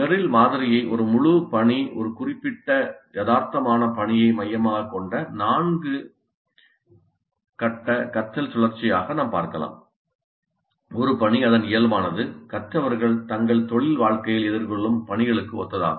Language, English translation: Tamil, So we can look at the Merrill's model as a four phase cycle of learning centered around a whole task, a realistic task, a task whose nature is quite similar to the kind of tasks that the learners will face in their professional life